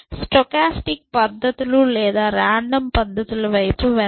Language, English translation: Telugu, Let us look at stochastic or randomized method